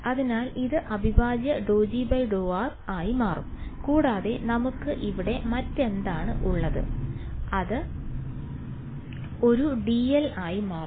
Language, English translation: Malayalam, So, this is going to become integral del G by del r right and what else do we have over here that is about it right this will become a d l right